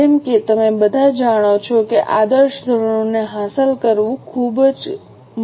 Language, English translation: Gujarati, As you all know, it becomes really very difficult to achieve ideal standards